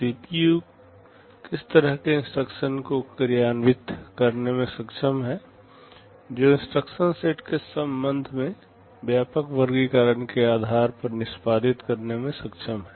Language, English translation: Hindi, What kind of instructions the CPU is capable of executing depending upon the broad classification with respect to instruction sets